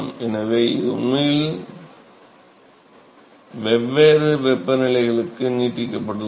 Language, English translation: Tamil, So, the, this can actually be extended to varying temperatures also we have